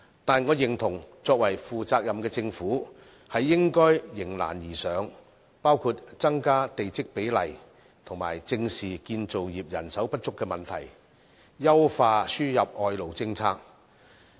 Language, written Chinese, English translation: Cantonese, 但是，我認同負責任的政府應該迎難而上，包括增加地積比例，以及正視建造業人手不足的問題，優化輸入外勞政策。, However I agree that a responsible government should face up to the challenges by among others raising plot ratios addressing manpower shortage in the construction industry and perfecting the policy on importing foreign labour